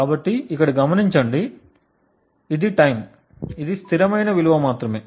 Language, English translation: Telugu, So, note that this is over time, while this is just a constant value